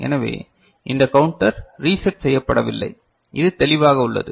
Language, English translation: Tamil, So, this counter is not getting reset, is it clear